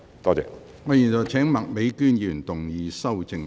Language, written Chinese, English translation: Cantonese, 我現在請麥美娟議員動議修正案。, I now call upon Ms Alice MAK to move an amendment